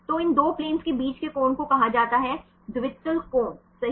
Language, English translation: Hindi, So, angle between these 2 planes right that is called dihedral angles right